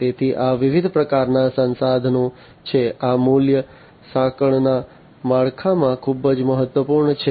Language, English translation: Gujarati, So, these are the different types of resources, these are very important in the value chain structure